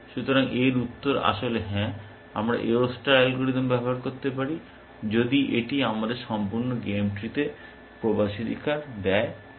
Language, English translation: Bengali, So, the answer to this is actually yes, we can use the A O star algorithm, provide it we have access to the complete game tree